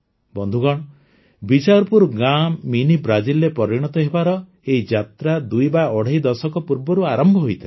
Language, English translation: Odia, Friends, The journey of Bichharpur village to become Mini Brazil commenced twoandahalf decades ago